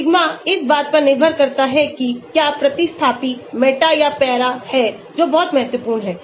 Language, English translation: Hindi, sigma depends on whether the substituent is meta or para that is also very important